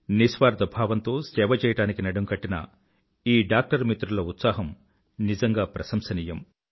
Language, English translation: Telugu, The dedication of these doctor friends engaged in selfless service is truly worthy of praise